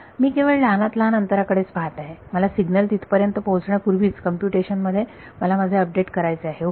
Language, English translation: Marathi, I am just looking at the shortest distance I want to do my update before the signal gets there, in computation ok